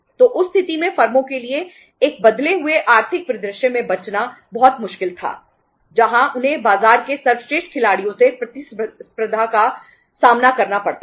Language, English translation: Hindi, So in that case it was very very difficult for the firms to survive in a changed economic scenario where they have to face the competition from the best players in the market